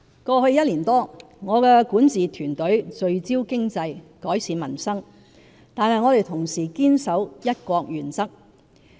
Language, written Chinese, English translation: Cantonese, 過去一年多，我的管治團隊聚焦經濟，改善民生，但我們同時堅守"一國"原則。, Over the past year or so my governing team and I while focusing on the economy and improving peoples livelihood have upheld the one country principle